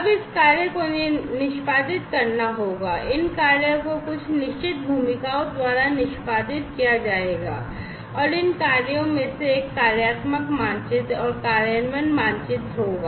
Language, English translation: Hindi, Now this task will have to be executed, these task will be executed by certain roles, and these tasks will have a functional map and an implementation map